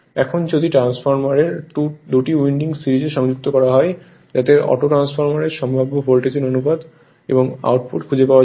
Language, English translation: Bengali, Now if the 2 windings of the transformer are connected in series to form as auto transformer find the possible voltage ratio and output right